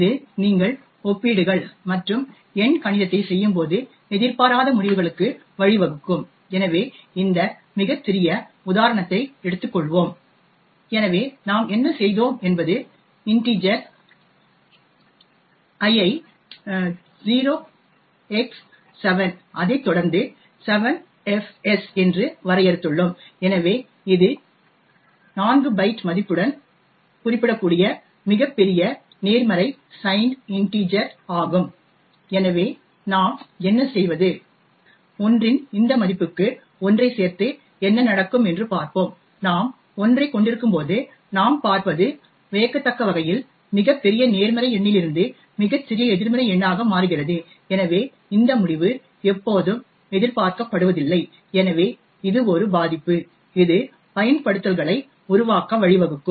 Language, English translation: Tamil, This can lead to unexpected results especially when you are doing comparisons and arithmetic, so let us take this very small example so what we have done is that we have defined the integer l to be 0 x 7 followed by 7 fs, so this is the largest positive sign integer that can be represented with a 4 byte integer value, so what we do is we add 1 to this value of l and see what would happen, so when we do had 1 what we see is that the number surprisingly changes from a very large positive number to the smallest negative number, so this result is not always expected and therefore is a vulnerability which could lead to creation of exploits